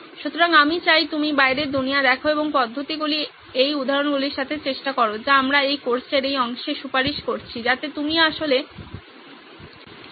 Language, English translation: Bengali, So, I would like you to go out in the world and try these methods with the examples that we have suggested in this part of this course so that you can actually get more practice